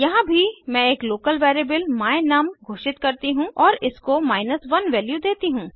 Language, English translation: Hindi, Here also, I have declare a local variable my num and assign the value 1 to it